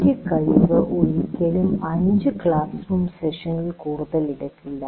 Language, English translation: Malayalam, So one competency is, will never take more than five classroom sessions